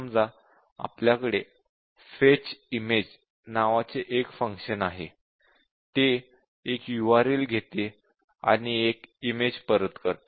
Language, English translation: Marathi, Let us say, we have a function, name of the function is Fetch image it takes a URL and returns an image